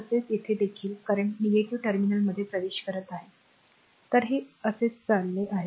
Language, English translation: Marathi, Similarly here also current is entering into the negative terminal; so, it is going like this